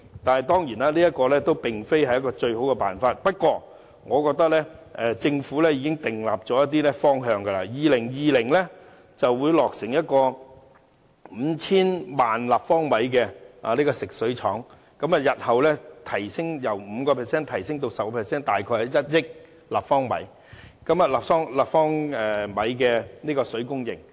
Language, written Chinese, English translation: Cantonese, 當然，這並非最好辦法，不過，我認為政府已確立了一些方向，例如將於2020年落成可提供 5,000 萬立方米的食水廠，日後將由 5% 提升至 10%， 大約是1億立方米的水供應。, Of course it is not the best solution but the Government has already set a direction . For instance a desalination plant with a water production capacity of 50 million cu m will be built by 2020 . The production capacity will meet 5 % of local water demand and it will be increased to about 100 million cu m in the future which is 10 % of local water demand